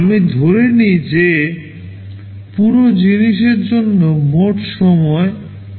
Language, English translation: Bengali, Let me assume that the total time required for the whole thing is T